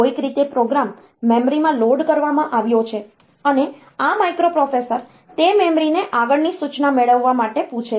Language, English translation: Gujarati, Somehow, the program has been loaded into the memory and this microprocessor it asks the memory to get the next instruction